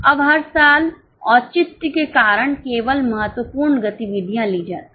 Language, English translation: Hindi, Now only the critical activities are taken because of the justification every year